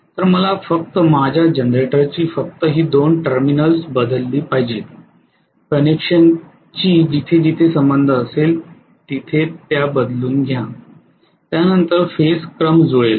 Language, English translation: Marathi, So I have to change only this particular you know the two terminals of my generator, interchange them as far as the connection is concerned, then phase sequence will match